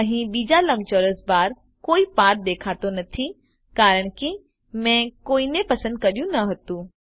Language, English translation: Gujarati, There is no path visible on the second rectangle bar because I did not select one